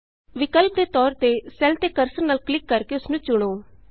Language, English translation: Punjabi, Alternately, select a cell by simply clicking on it with the cursor